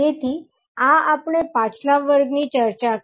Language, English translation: Gujarati, So, this we discussed the previous class